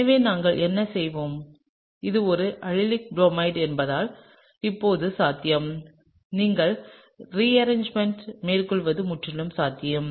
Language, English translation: Tamil, So, what we will do is, now it’s possible since it’s an allylic bromide, it’s entirely possible that you can have a rearrangement, okay